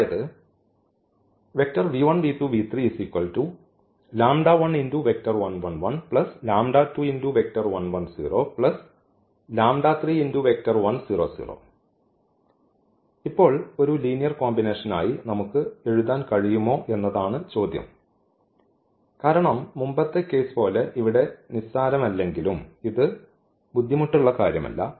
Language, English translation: Malayalam, Now the question is can we write down as a linear combination here because here is not as trivial to see as the earlier case though this is also not difficult